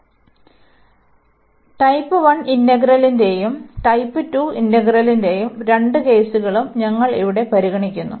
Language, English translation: Malayalam, So, here we are considering both the cases the integral of type 1 as well as integral of type 2